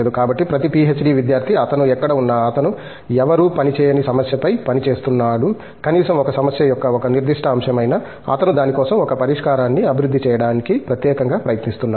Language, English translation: Telugu, So, every PhD student wherever he is, he is working on a problem which possibly nobody else is working on, at least a particular facet of a problem, which he is uniquely trying to develop a solution for that